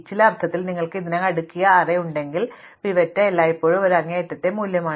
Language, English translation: Malayalam, If you have an already sorted array in some sense, the pivot is always an extreme value